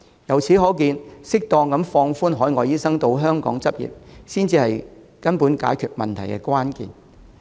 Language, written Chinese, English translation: Cantonese, 由此可見，適當放寬海外醫生到香港執業，才是解決根本問題的關鍵。, We thus learn that proper relaxation of requirements for overseas doctors to practise in Hong Kong is the crux for resolving the fundamental problem